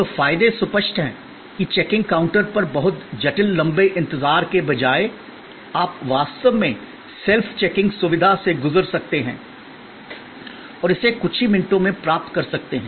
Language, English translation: Hindi, So, the advantages are obvious, that instead of a very complicated long wait at the checking counter, you can actually go through the self checking facility and get it done in a few minutes